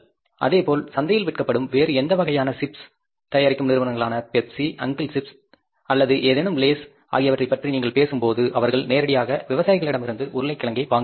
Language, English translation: Tamil, Similarly, you talk about the companies who are manufacturing these potato chips in the market, whether it is a Pepsi, uncle chips or any laser, any other kind of the chips they are selling in the market, they directly buy the potatoes from the farmers